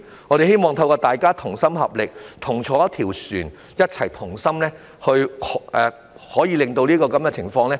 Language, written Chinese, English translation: Cantonese, 我希望大家同心合力，既同坐一條船，便一起同心捱過這樣的情況。, I hope that we will work together . Since we are in the same boat we should overcome this situation with one mind